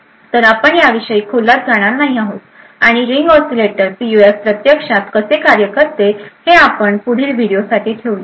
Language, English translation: Marathi, So, we will not go into details about this and how this Ring Oscillators PUF actually works, this we will actually keep for the next video